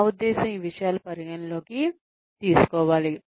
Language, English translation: Telugu, I mean, these things, should be taken into account